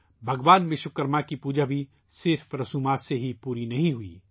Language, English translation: Urdu, The worship of Bhagwan Vishwakarma is also not to be completed only with formalities